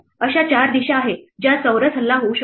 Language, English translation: Marathi, There are 4 directions in which a square could be under attack